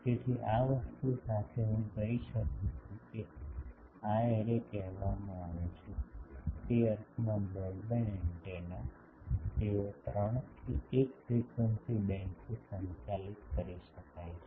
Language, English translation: Gujarati, So, with this a thing I can say that these arrays are called, in that sense broadband antenna, they can be made to operate over a 3 to 1 frequency band